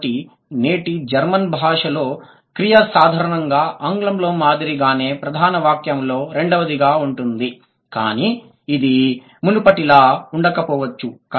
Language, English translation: Telugu, So, in today's German, the verb is normally second in the main sentence as in English, but it may not be the same before